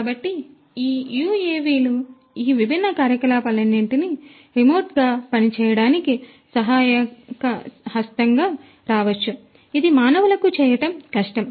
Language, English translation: Telugu, So, UAVs can come as a helping hand to do all these different activities remotely, which would be otherwise difficult to be done by human beings